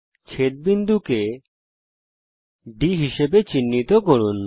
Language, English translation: Bengali, Lets mark the point of intersection as D